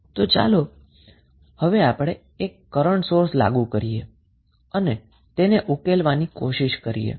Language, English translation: Gujarati, So, now let us apply one current source and try to solve it